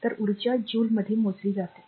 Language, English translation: Marathi, So, energy is measured in joules